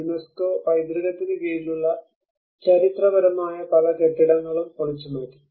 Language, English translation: Malayalam, And many of the historic buildings which are under the UNESCO heritage have been demolished